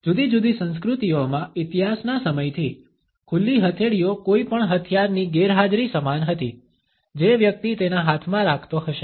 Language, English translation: Gujarati, Over the course of history in different cultures, open palms were equated with the absence of any weapon which a person might be carrying in his hands